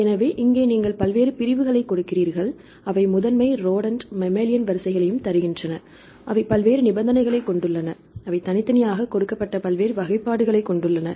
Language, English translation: Tamil, So, here you give the various divisions, they give the primary sequences and rodent sequences, mammalian sequences, they have the various conditions, the various classifications they given separately